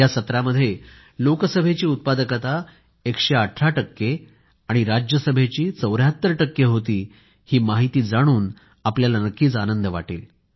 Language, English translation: Marathi, You will be glad to know that the productivity of Lok Sabha remained 118 percent and that of Rajya Sabha was 74 percent